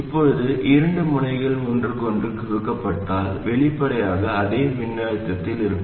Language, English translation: Tamil, Now if two nodes are shorted to each other, obviously they will be at the same voltage